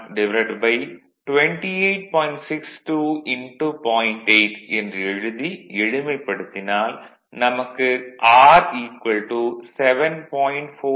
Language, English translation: Tamil, So, from which if you solve, you will get R is equal to 7